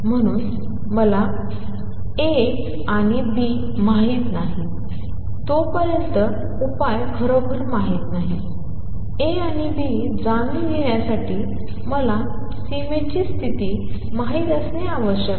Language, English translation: Marathi, So, the solution is not really known until I know A and B; to know A and B, I have to know the boundary condition